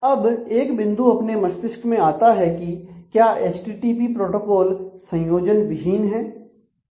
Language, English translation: Hindi, Now, one point that should be born in mind in terms of the http protocol is it is connectionless